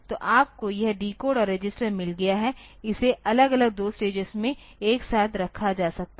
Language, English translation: Hindi, So, you have got this decode and registered it may put together put separately into two stages